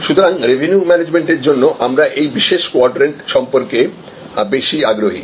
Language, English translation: Bengali, So, for our purpose, for the revenue management we are interested in this particular quadrant